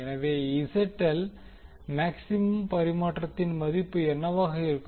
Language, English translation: Tamil, So, what will be the value of ZL maximum transfer